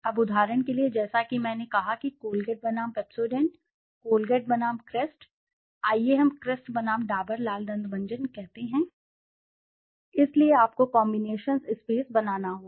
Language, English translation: Hindi, Now for example, as I said Colgate versus Pepsodent, Colgate versus Crest, let us say Crest versus Dabur Lal Dant Manjan, so you have to make those combinations space